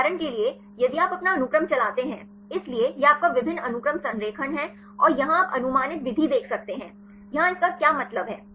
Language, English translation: Hindi, For example, if you run your own sequence; so, this is your multiple sequence alignment and here you can see the predicted method; here this stands for